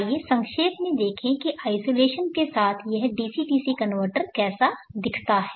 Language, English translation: Hindi, Let us briefly look at how this DC DC converter with isolation looks like